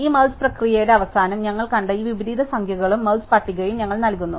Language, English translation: Malayalam, So, the end of this merge procedure, we return these number of inversions we saw plus the merge list